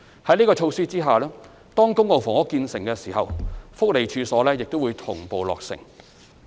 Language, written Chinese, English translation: Cantonese, 在這個措施下，當公共房屋建成時，福利處所亦會同步落成。, Under this initiative upon completion of a public housing project the construction of the related welfare premises will also be completed